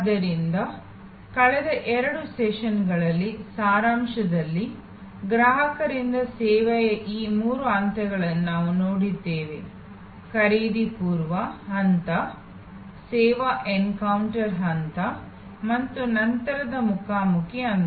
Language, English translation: Kannada, So, in summary in the last two sessions, we have looked at these three stages of service consumption by the consumer, pre purchase stage, service encounter stage and post encounter stage